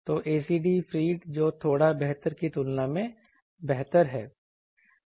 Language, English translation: Hindi, So, the ACD feed that is better compared to a slightly better